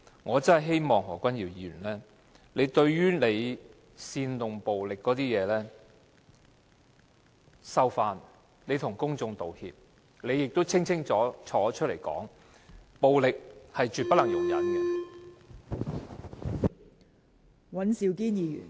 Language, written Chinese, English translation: Cantonese, 我真的希望何君堯議員收回煽動暴力的言論，向公眾道歉，他應要站出來清楚作出交代，暴力是絕不能容忍的。, I truly wish that Dr Junius HO will take back his violence - inciting remarks and apologize to the public . He should come out to give a clear account of the incident . We will definitely not tolerate any violence anyway